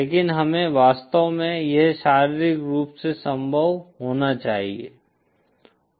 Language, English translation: Hindi, But we have to it should be actually physically possible